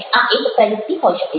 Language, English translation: Gujarati, this could be one strategy